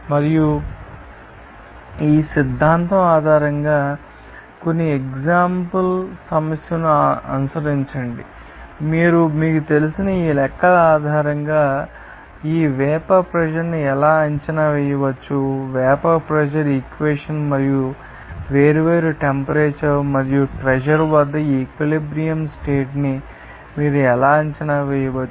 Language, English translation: Telugu, And follow some examples problem based on this theory and how you can you know assess this vapour pressure based on the calculation of this you know, vapour pressure equation and also how you can assess that equilibrium condition at different temperature and pressure